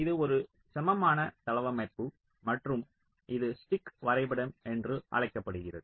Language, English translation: Tamil, this is an equivalent layout and this is called a stick diagram